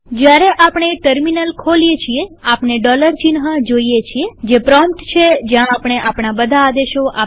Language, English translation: Gujarati, When we open the terminal we can see the dollar sign, which is the prompt at which we enter all our commands